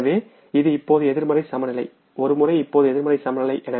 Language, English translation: Tamil, So this is now the negative balance